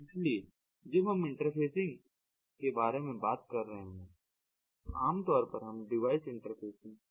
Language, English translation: Hindi, so when we are talking about interfacing it is typically we are referring to device interfacing